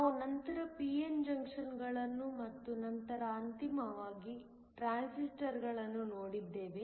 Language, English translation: Kannada, We then looked at p n junctions and then finally, transistors